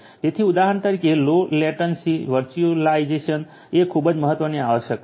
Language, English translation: Gujarati, So, for example, low latency virtualization is a very important requirement